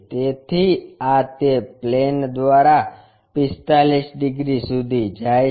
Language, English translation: Gujarati, So, this one goes via 45 degrees through that plane